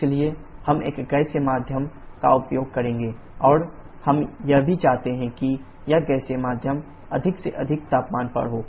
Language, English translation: Hindi, So, we shall be using a gaseous medium and that also we want this gaseous medium to be at a temperature as high as possible